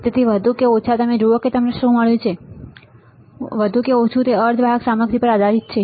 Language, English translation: Gujarati, So, more or less you see what we have found, more or less it depends on the semiconductor material